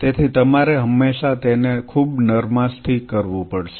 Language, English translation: Gujarati, So, you will always have to do it very gently